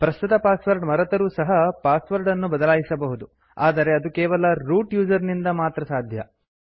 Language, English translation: Kannada, Then also the password can be changed without knowing the current password, but that can only be done by the root user